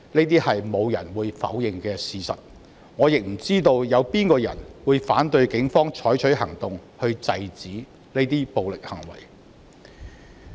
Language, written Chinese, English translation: Cantonese, 這是沒有人會否認的事實，我亦不知道有哪一個人會反對警方採取行動，制止這些暴力行為。, This was the fact that no one may deny . Also I do not know who will oppose the Police taking actions to stop such violent acts